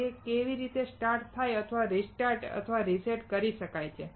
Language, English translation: Gujarati, How it can start or restart or reset